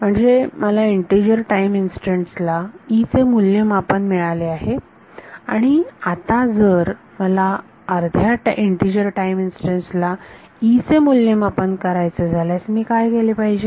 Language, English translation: Marathi, So, I have got E evaluated at integer time instance and now if I want the value of E at half time integer then what should I do